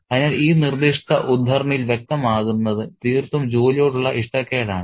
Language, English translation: Malayalam, So, what is clear in this particular extract is a sheer dislike of work